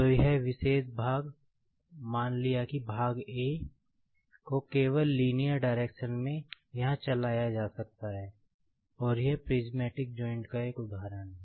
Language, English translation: Hindi, So, this particular part, say part A can be just moved in the linear direction here, and this is an example of the prismatic joint